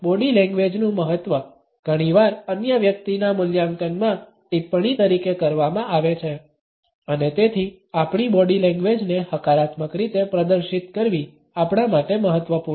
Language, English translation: Gujarati, The significance of body language has often been commented on in our appraisal of the other person and therefore, it is important for us to exhibit our body language in a positive manner